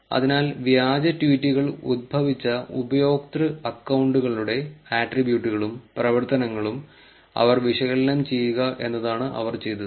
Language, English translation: Malayalam, So, what they do is they analyse the attributes and activities of the user accounts from where the fake tweets originated